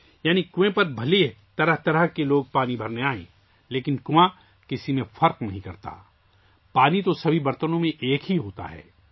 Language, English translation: Urdu, Which means There could be myriad kinds of people who come to the well to draw water…But the well does not differentiate anyone…water remains the same in all utensils